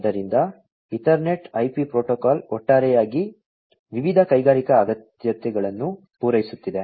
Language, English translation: Kannada, So, Ethernet IP protocol is overall catering to the different industrial requirements